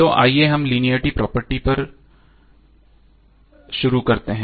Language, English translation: Hindi, So let us start the topic on linearity property